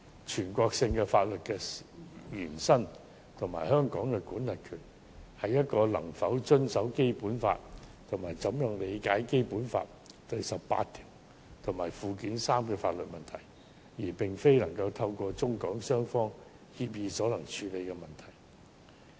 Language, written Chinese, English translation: Cantonese, 全國性法律的延伸與香港的管轄權是否能遵守《基本法》及如何理解《基本法》第十八條和附件三的法律問題，並非透過中港雙方協議所能處理的問題。, Whether such an extension of the Mainland law and jurisdiction to Hong Kong is compliant with the Basic Law or the legal issues relating to the interpretation of Article 18 and Annex III of the Basic Law are not matters that can be dealt with through agreements between the Mainland and Hong Kong